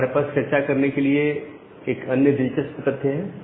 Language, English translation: Hindi, Ok now, we have another interesting thing to discuss